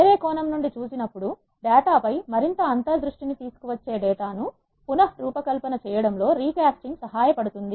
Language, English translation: Telugu, The answer is recasting helps in reshaping the data which could bring more insights on the data, when it is seen from the different perspective